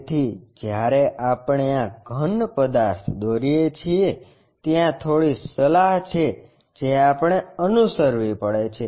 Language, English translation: Gujarati, So, when we are drawing these solids, there are few tips which we have to follow